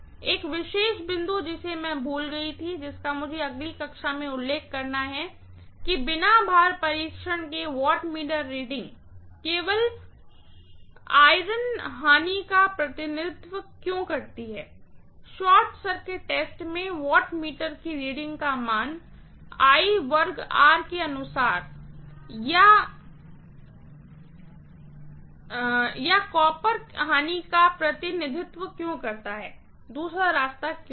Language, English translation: Hindi, One particular point I had forgotten which I have to mention in the next class as to why the wattmeter reading in no load test represents only iron losses, why the wattmeter reading in the short circuit test represents only I square R losses or copper losses, why not the other way around, okay